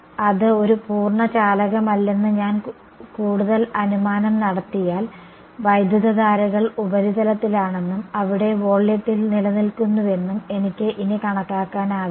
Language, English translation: Malayalam, Then if I made the further assumption that it is not a perfect conductor, then I can no longer make the approximation that the currents are on the surface, but there living in the volume right